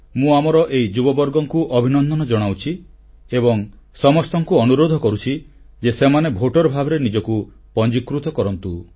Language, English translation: Odia, I congratulate our youth & urge them to register themselves as voters